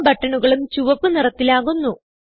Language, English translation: Malayalam, All the buttons change to Red color